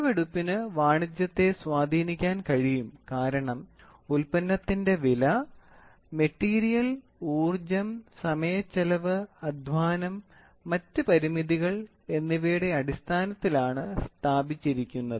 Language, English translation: Malayalam, The measurement is also biased of commerce, because the cost of the product are established on the basis of amount of material, power, expenditure of time, labour and other constraints